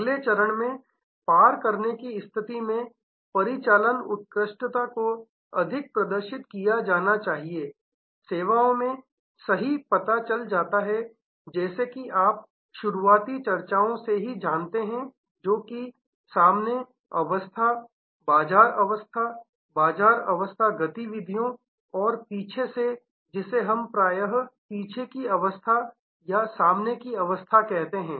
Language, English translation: Hindi, In the next stage, cross position comes operational excellence must highlight as you know right from the early discussions in service the front side, which is the front stage the market stage, market facing activities and the back, which we often called back stage, front stage